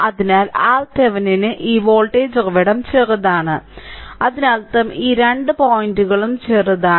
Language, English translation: Malayalam, So, for R Thevenin this voltage source is shorted this voltage source is shorted; that means, these two point is shorted